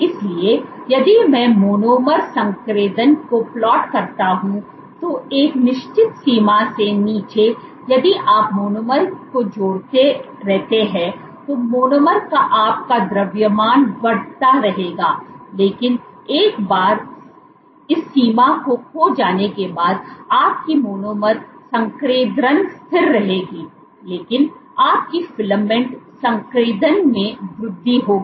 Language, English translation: Hindi, So, below a certain threshold below you will have if you keep on adding monomers your mass of the monomers will keep increasing, but once this threshold is cost your monomer concentration will remain constant, but your filament concentration will increase